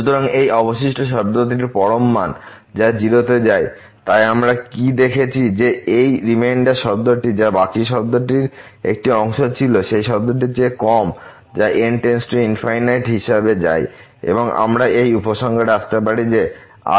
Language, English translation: Bengali, So, this absolute value of this remainder term which goes to 0; so what we have seen that this reminder term which was a part of the remainder term is less than which term which goes to 0 as goes to infinity and we can conclude that the remainder goes to 0